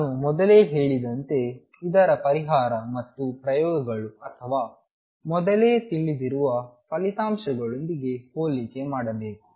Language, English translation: Kannada, As I said earlier is the solution of this and comparison with the experiments or earlier known results